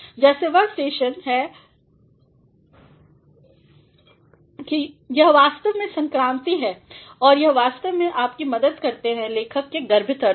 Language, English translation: Hindi, Just are these stations that they are actually transitions and they help you understand the implied sense of the writer